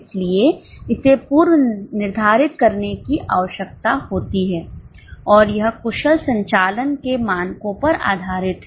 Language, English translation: Hindi, So, it needs to be pre determined and it is based on the standards of efficient operations